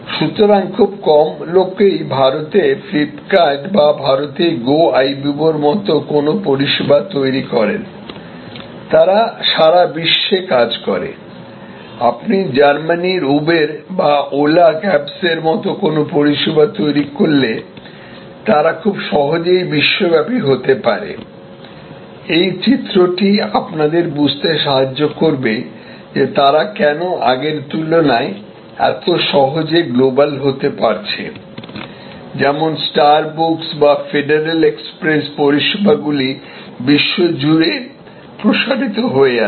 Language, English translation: Bengali, So, few create a service like FlipKart in India or Goibibo in India, they will go global, if you create a service like Uber in Germany or Ola cabs, they can very easily go global, this diagram will help you to understand that why they can global go global so easily today as opposed to yester years, when services like star bucks or federal express to yours to expand across the globe